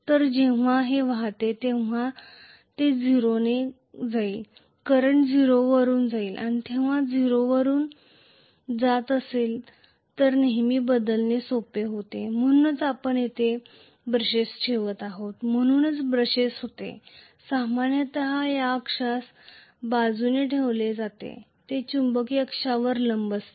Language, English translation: Marathi, So when it is drifting obviously it will go through a 0, the current will go through 0 and when it is going through 0 it is always easier to change over so that is the reason why we are placing the brushes some were here so the brushes are normally placed along this axis which is perpendicular to the magnetic axis